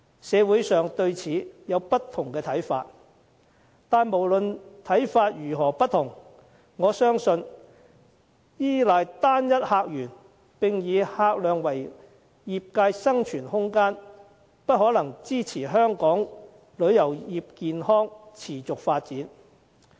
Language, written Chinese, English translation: Cantonese, 社會上對此有不同看法，但無論看法如何不同，我相信依賴單一客源並以客量為業界生存空間，不可能支持香港旅遊業健康地持續發展。, There are different views in society but whatever the views I believe that reliance on a single visitor source and a large number of visitors cannot sustain the healthy development of the tourism industry of Hong Kong . What is the way forward for our tourism industry?